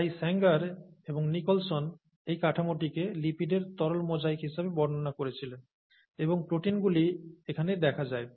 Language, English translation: Bengali, So Sanger and Nicholson described this structure as a fluid mosaic of lipids which are these and proteins which are seen here